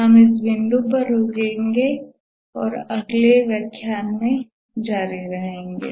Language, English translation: Hindi, We will stop at this point and continue in the next lecture